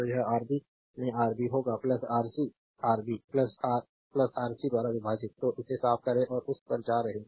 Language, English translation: Hindi, So, it will be Rb into Ra plus Rc divided by Rb plus Ra plus Rc; so, cleaning it and going to that right